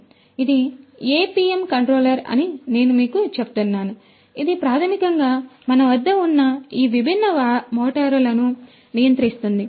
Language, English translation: Telugu, So, so, as I was telling you that this is this APM controller which basically will control these different motors that we have